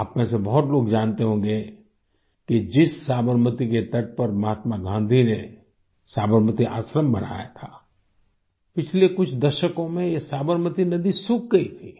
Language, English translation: Hindi, Many of you might be aware that on the very banks of river Sabarmati, Mahatma Gandhi set up the Sabarmati Ashram…during the last few decades, the river had dried up